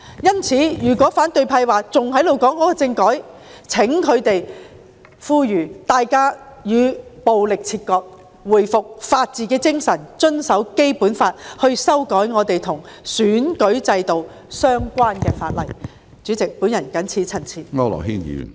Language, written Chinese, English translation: Cantonese, 因此，如果反對派仍然談政改，請他們呼籲市民與暴力切割，回復法治精神，遵守《基本法》，並透過修訂與選舉制度相關的法例來達致他們的目標。, Therefore if the opposition camp still talks about constitutional reform will they please call on members of the public to sever ties with violence restore the rule of law abide by the Basic Law and achieve their purpose through making legislative amendments relating to the electoral system